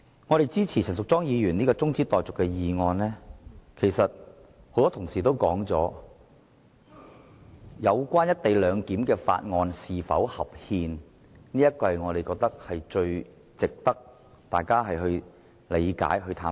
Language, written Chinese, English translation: Cantonese, 我們支持陳淑莊議員提出的中止待續議案，是因為正如很多同事也指出，有關"一地兩檢"的《廣深港高鐵條例草案》是否合憲，很值得大家了解和探討。, We support the adjournment motion moved by Ms Tanya CHAN because just as many colleagues have pointed out the constitutionality of the Guangzhou - Shenzhen - Hong Kong Express Rail Link Co - location Bill the Bill concerning the co - location arrangement is worthy of our discussion